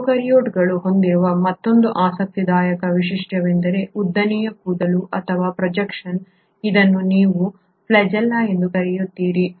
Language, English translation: Kannada, Another interesting feature which the prokaryotes have is a long hair like or projection which is what you call as the flagella